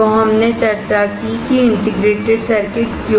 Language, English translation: Hindi, So, we discussed why integrated circuits